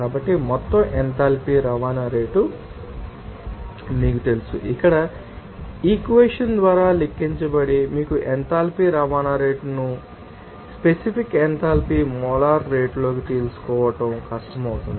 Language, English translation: Telugu, So, that total enthalpy transport rate can be then you know that calculated by this equation here to tell you know enthalpy transport rate, it will be difficult to you know specific enthalpy into molar rate